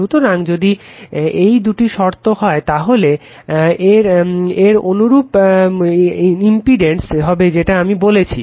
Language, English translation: Bengali, So, if if this this two conditions hold therefore, the corresponding impedance I told you